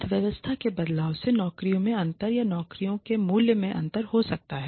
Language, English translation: Hindi, Changes in the economy can lead to a difference in how the jobs or the value of the jobs is perceived